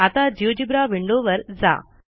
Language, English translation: Marathi, Now to the geogebra window